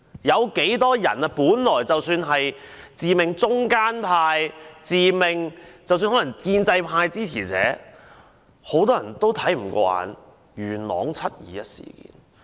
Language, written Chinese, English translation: Cantonese, 很多人本來自命是中間派，甚或是建制派支持者，但都看不過眼元朗"七二一"事件。, Many people who used to regard themselves as middle - of - the - roaders or supporters of the pro - establishment camp found the 21 July incident in Yuen Long unacceptable